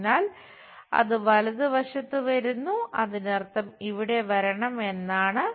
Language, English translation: Malayalam, So, it comes on the right side, that means, is supposed to come here